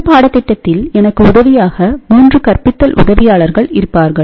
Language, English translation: Tamil, So, to help me in this course, there will be 3 teaching assistance